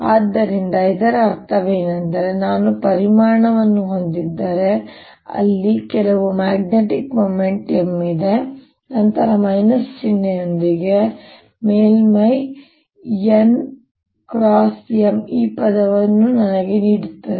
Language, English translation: Kannada, so what it means is, if i have a volume where is there some magnetic moment, m, then the surface n cross m with the minus sign gives me the surface current